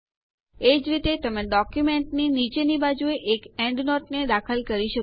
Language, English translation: Gujarati, Likewise, you can insert an endnote at the bottom of the document